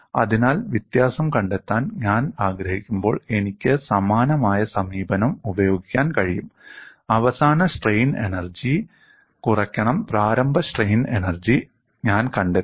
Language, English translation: Malayalam, So, I can use the similar approach and when I want to find out the difference, I will find out the final strain energy minus initial strain energy, we will look at now